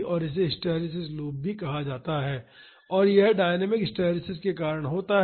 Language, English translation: Hindi, And, this is also called hysteresis loop and this is due to dynamic hysteresis